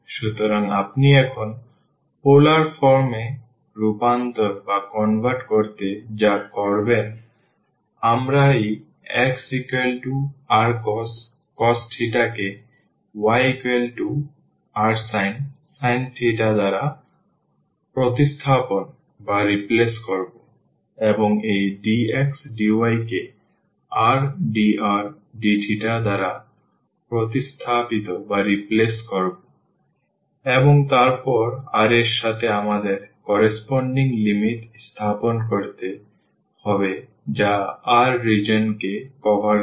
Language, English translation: Bengali, So, what you will do now to convert into the polar form we will replace this x by r cos theta we will replace this y by r sin theta, and this dx dy will be replaced by r dr d theta, and then the corresponding to r in t theta we have to place the limits that covers the region r